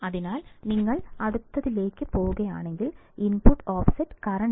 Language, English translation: Malayalam, So, if you move on to the next one, input offset current